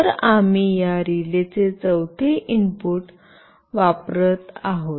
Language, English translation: Marathi, So, we are using this fourth input of this relay